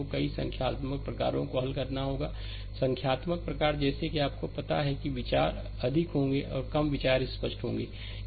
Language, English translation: Hindi, So, we have to solve a several numericals varieties type of numerical, such that your ah you know your idea the thoughts will be more or less your thoughts will be clear, right